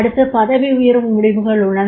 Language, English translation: Tamil, Then promotion decisions are there